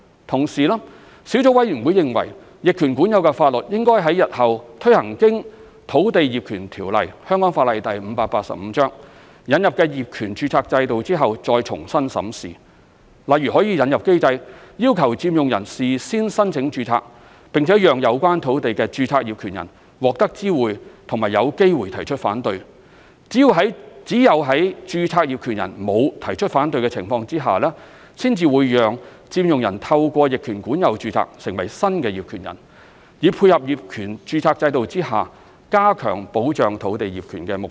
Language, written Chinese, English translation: Cantonese, 同時，小組委員會認為，逆權管有的法律應在日後推行經《土地業權條例》引入的業權註冊制度後再重新審視，例如可引入機制，要求佔用人事先申請註冊，並讓有關土地的註冊業權人獲得知會及有機會提出反對，只有在註冊業權人沒有提出反對的情況之下，才讓佔用人透過逆權管有註冊成為新業權人，以配合業權註冊制度下加強保障土地業權的目標。, For example a mechanism may be introduced to require the occupiers to apply for registration in advance for the registered owners of the land to be notified and given a chance to object and the occupiers can only register as the new owners through adverse possession if no objection is heard from the registered owners . This complements the objective of strengthening the protection of land titles under the title registration system